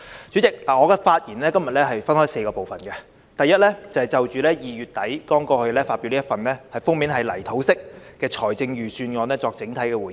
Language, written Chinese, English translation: Cantonese, 主席，我今天的發言分為4個部分，第一是就2月底剛發表的這份封面為泥土色的財政預算案作整體回應。, President my speech today is divided into four parts . In the first part I will give a general response to this Budget with a cover in an earth tone colour just published at the end of February